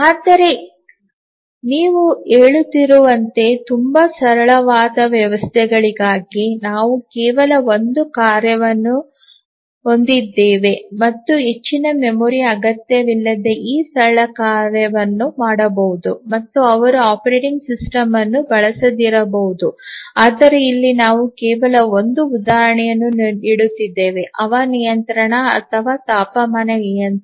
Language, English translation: Kannada, But as you are saying that very very simple systems we just have a task single task and very simple task without needing much memory etcetera, they might not use a operating system I just giving an example of a air conditioner or temperature controller